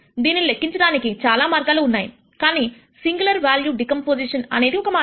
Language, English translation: Telugu, There are many other ways of computing this, but singular value decomposition is one way of computing this